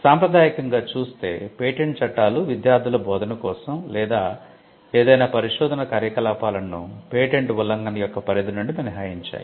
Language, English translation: Telugu, Patent laws traditionally excluded any activity which was for instruction of their students or any research activity from the ambit of a patent infringement